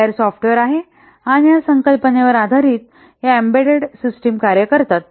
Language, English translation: Marathi, This is the layered software and based on this concept this embedded systems work